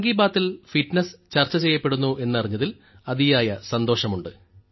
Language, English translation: Malayalam, I am very happy to know that fitness is being discussed in 'Mann Ki Baat'